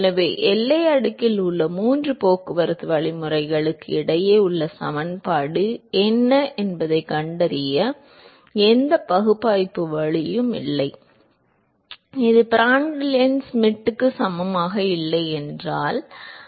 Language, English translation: Tamil, So, there is no analytical way of finding out what is the equivalence between the three transport mechanisms in the boundary layer, if this is the case where the Prandtl number is not equal to Schmidt number